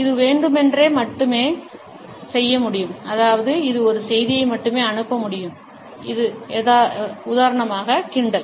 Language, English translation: Tamil, It can only be done deliberately which means it can send only one message, sarcasm